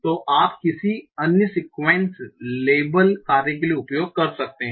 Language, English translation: Hindi, So, and you can use that for any other sequence labeling task